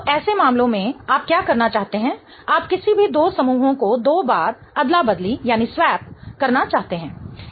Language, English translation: Hindi, So, in such cases what you want to do is you want to swap any two groups twice